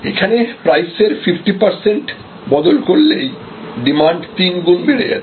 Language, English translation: Bengali, So, this is a 50 percent change in price creates 3 times more demand